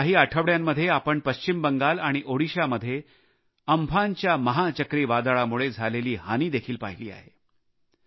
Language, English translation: Marathi, During the last few weeks, we have seen the havoc wreaked by Super Cyclone Amfan in West Bengal and Odisha